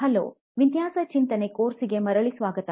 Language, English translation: Kannada, Hello and welcome back to design thinking course